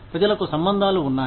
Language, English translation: Telugu, People have connections